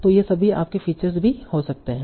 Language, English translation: Hindi, So all these can also be your features